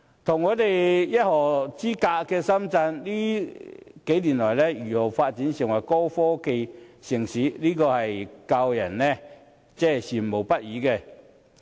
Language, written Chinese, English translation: Cantonese, 與我們一河之隔的深圳，這些年來如何發展成為高科技城市，更是教人羨慕不已。, Shenzhen situated just a river apart indeed makes us green with envy for its leap into a high - tech city in the past years